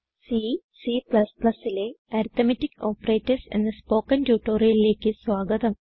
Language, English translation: Malayalam, Welcome to the spoken tutorial on Arithmetic Operators in C C++